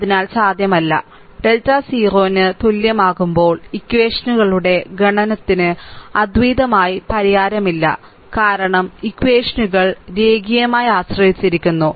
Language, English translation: Malayalam, So, when delta is equal to 0, the set of equations has no unique solution, because the equations are linearly dependent, right